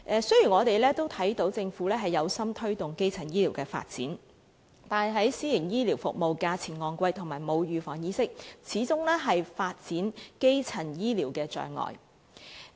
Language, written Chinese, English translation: Cantonese, 雖然我們看到政府有心推動基層醫療發展，但私營醫療服務費用昂貴，以及市民缺乏預防疾病的意識，始終是基層醫療發展的障礙。, Although we have seen the Governments determination to promote the development of primary healthcare the expensive fees for private healthcare services and the peoples lack of awareness of disease prevention have remained hindrances to the development of primary healthcare